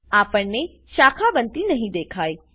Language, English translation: Gujarati, We do not see the branching